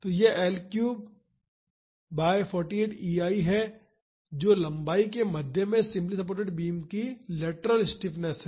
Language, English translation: Hindi, So, this is the 48 EI by L cube is the lateral stiffness of the simply supported beam at mid span